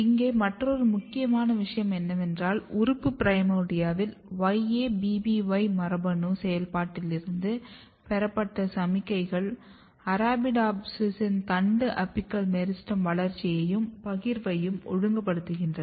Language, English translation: Tamil, Another important thing here is that the signals derived from YABBY gene activity in organ primordia regulates growth and partitioning of Arabidopsis shoot apical meristem